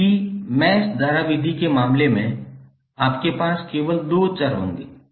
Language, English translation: Hindi, While in case of mesh current method, you will have only 2 variables